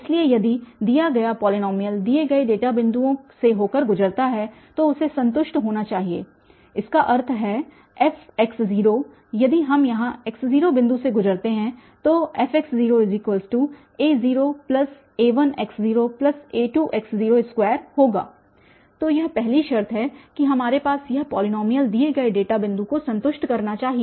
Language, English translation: Hindi, So, if the given polynomial passes through the given data points then it must satisfy that means the f x0 if we pass here x naught point so fx naught must be equal to a naught plus a1 x naught, plus a2 x naught square